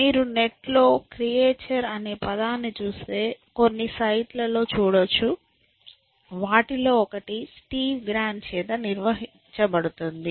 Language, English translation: Telugu, So, the term creature, if you just look up creature on the on the net, you will find some sites, one of them is maintained by Steve Grand